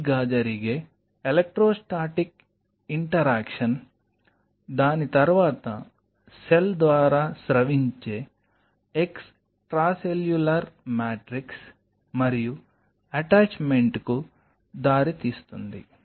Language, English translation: Telugu, The electrostatic interaction which happens right, followed by an extracellular matrix secreted by the cell and leading to the attachment